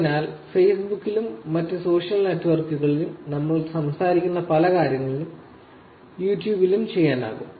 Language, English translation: Malayalam, So, essentially many things that we be talked about on Facebook can also to be done, Facebook and other social networks, can also be done on YouTube